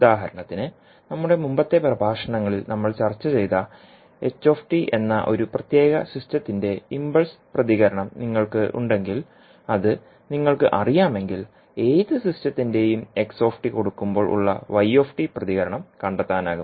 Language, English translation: Malayalam, For example if you have the impulse response of a particular system that is ht, which we discuss in our previous lectures, so if you know the impulse response, you can find the response yt for any system with the excitation of xt